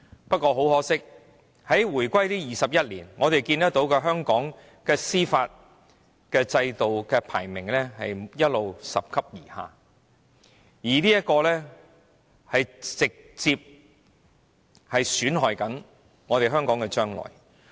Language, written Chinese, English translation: Cantonese, 不過，很可惜，在回歸後的21年以來，和香港司法制度有關的排名一直拾級而下，這直接損害了香港的未來。, However very regrettably over the past 21 years since the establishment of HKSAR Hong Kongs rankings in indices concerning our judicial system have been dropping and this has directly caused damage to the future of Hong Kong